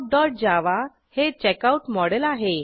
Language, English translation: Marathi, And Checkout.java is a checkout model